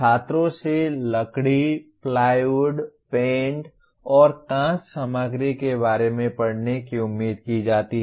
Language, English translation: Hindi, Students are expected to read about timber, plywood, paints and glass materials